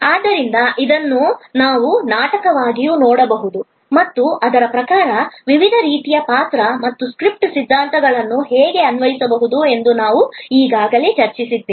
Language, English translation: Kannada, So, it can also we seen therefore as a drama and accordingly we have already discussed that how the different types of role and script theories can be applied